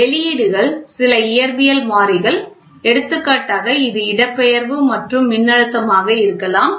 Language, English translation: Tamil, The output is some physical variable example it can be displacement and voltage